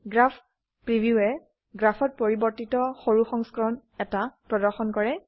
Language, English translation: Assamese, Graph preview displays, a scaled version of the modifications in the graph